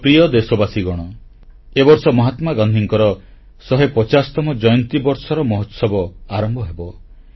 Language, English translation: Odia, My dear countrymen, this year Mahatma Gandhi's 150th birth anniversary celebrations will begin